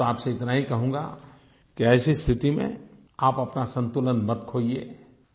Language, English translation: Hindi, All that I would like to say to you is that in such a situation, don't lose your balance